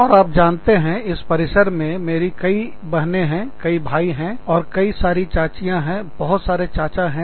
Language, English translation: Hindi, And, you know, i mean, i have so many sisters, and so many brothers, and so many aunts, and so many uncles, on this campus